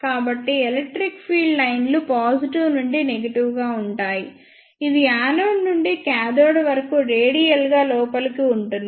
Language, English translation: Telugu, So, the electric field lines will be from positive to negative that is from anode to cathode radially inward